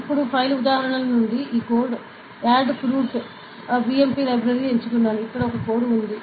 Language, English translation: Telugu, Now, we can see that from the file examples, I have selected this code ok, Adafruit BMP library, here this is a code over here